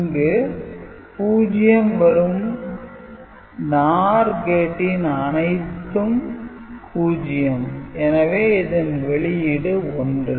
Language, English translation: Tamil, So, this NOR gate output, now all the inputs are 0 so, this output will now become 1